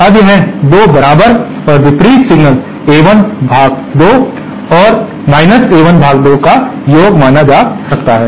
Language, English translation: Hindi, Now this can be considered as a summation of 2 equal and opposite signals A1 upon 2 and A1 upon 2